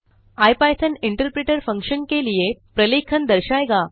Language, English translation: Hindi, Ipython interpreter will show the documentation for the function